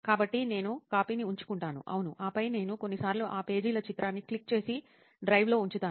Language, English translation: Telugu, So I keep the copy so that, yeah, and then I, even if, sometimes I click picture of those pages and put it in the drive